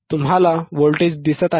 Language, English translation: Marathi, You see the voltage;